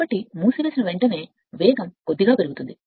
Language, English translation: Telugu, So, little bit you will find as soon you close it you will the speed is slightly increase